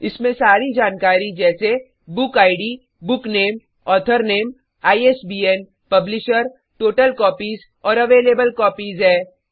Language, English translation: Hindi, It has all the details like Book Id, BookName,Author Name, ISBN, Publisher, Total Copies and Available copies